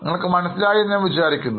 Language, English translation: Malayalam, I hope you are getting it